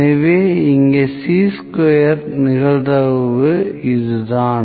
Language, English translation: Tamil, So, this is probability for Chi square and this is Chi square